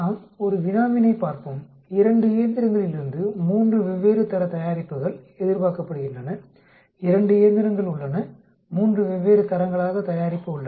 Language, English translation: Tamil, Let us look at a problem, 3 different grades of product is expected from 2 machines, there are 2 machines, 3 different grades of product